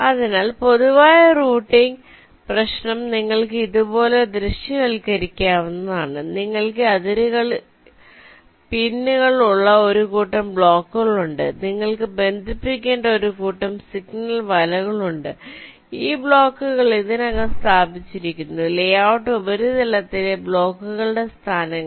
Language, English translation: Malayalam, ok, so the general routing problem you can visualize like this: you have a set of blocks with pins on the boundaries, you have a set of signal nets which need to be connected and these blocks are already placed locations of the blocks on the layout surface